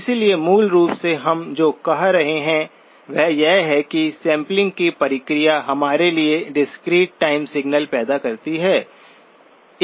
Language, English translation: Hindi, So basically what we are saying is that the process of sampling produces for us a discrete time signal